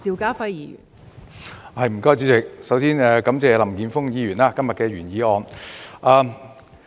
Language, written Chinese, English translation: Cantonese, 代理主席，首先感謝林健鋒議員今天的原議案。, Deputy President first of all I would like to thank Mr Jeffrey LAM for proposing the original motion today